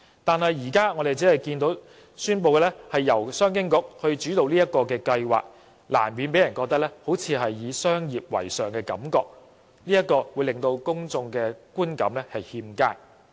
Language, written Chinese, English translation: Cantonese, 但是，政府現時宣布由商務及經濟發展局主導整個計劃，難免讓人有"商業為上"的感覺，令公眾的觀感欠佳。, But as presently announced by the Government the Commerce and Economic Development Bureau is in charge of the overall plan . People cannot help but have the uneasy feeling that it is after all just a commercial project